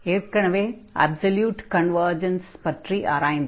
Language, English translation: Tamil, And we have also discussed about the absolute convergence there